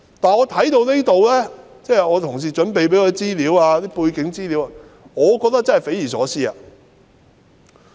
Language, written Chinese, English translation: Cantonese, 但是，看到同事替我準備的背景資料後，我真的覺得匪夷所思。, But having read the background information prepared for me by my colleagues I do find the situation inconceivable